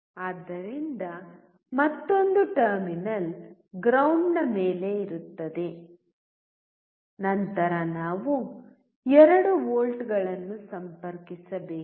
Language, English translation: Kannada, So, another terminal will be ground, then we have to connect 2 volts